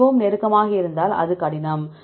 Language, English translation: Tamil, If it is very close then it is difficult